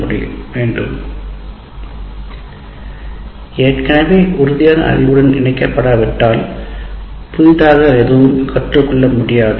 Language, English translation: Tamil, Nothing new can be learned unless it is linked to existing concrete knowledge